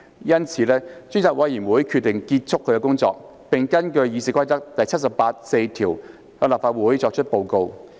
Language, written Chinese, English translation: Cantonese, 故此，專責委員會決定結束其工作，並根據《議事規則》第784條向立法會作出報告。, The Select Committee has therefore decided to draw its work to a close and report to the Council in accordance with RoP 784